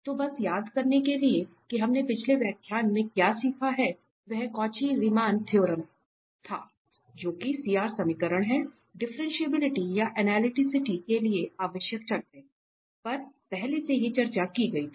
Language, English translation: Hindi, So, just to recall what we have learned in previous lecture, that was the Cauchy Riemann equations, that is CR equations, the necessary conditions for analyticity or differentiability that was already discussed